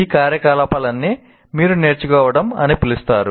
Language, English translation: Telugu, So all these activities are involved in what you call learning